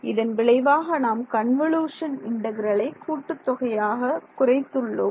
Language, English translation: Tamil, So, what we have done as a result of this is, we have reduced a convolution integral to a running sum ok